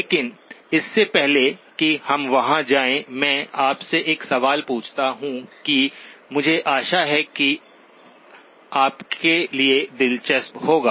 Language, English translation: Hindi, But before we go there, let me ask you a question that I hope will be an interesting one for you to explore